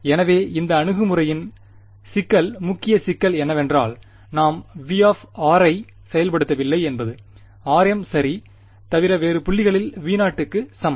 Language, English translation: Tamil, So, the problem main problem with this approach is that we are not enforcing V of r is equal to V naught at points other than r m right